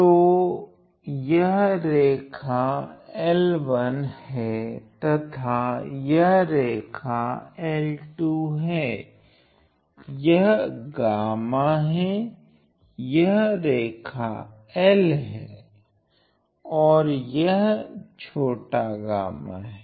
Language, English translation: Hindi, So, I have line L 1 this is line L 2 this is gamma this is line L and this is small gamma